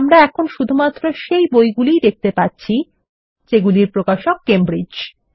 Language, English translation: Bengali, and we see only those books for which the publisher is Cambridge